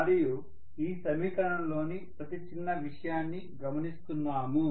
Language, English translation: Telugu, So we are looking at every single thing in this equation